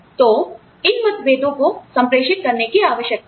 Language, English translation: Hindi, So, you know, these differences need to be communicated